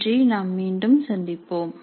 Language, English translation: Tamil, Thank you and we will meet again